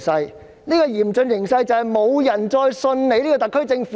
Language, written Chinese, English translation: Cantonese, 香港現時的嚴峻形勢，便是沒有人相信特區政府。, The prevailing dire situation in Hong Kong is that nobody trusts the SAR Government